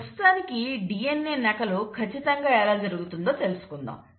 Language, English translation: Telugu, So let us look at how DNA replication happens